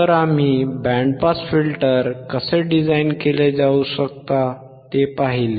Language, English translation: Marathi, So, we have seen how the band pass filter can be designed